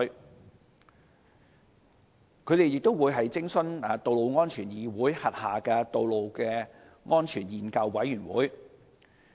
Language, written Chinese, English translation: Cantonese, 運輸署及顧問亦會徵詢道路安全議會轄下的道路安全研究委員會的意見。, TD and the consultancy will also consult the Road Safety Research Committee under the Road Safety Council